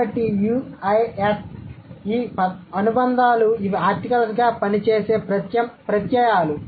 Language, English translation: Telugu, So, U, E, at, these are the affixes which or these are the suffixes which work like articles